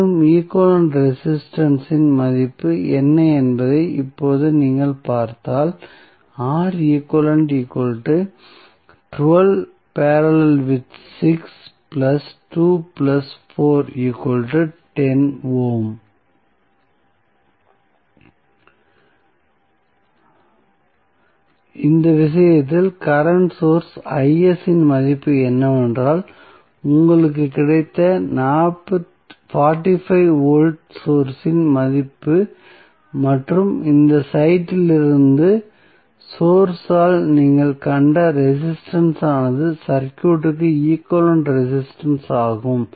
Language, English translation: Tamil, Now, in this case what value of Is that is source current you have got 45 is the value of voltage source and the resistance which you have got seen by the source from this site that is equivalent resistance of the circuit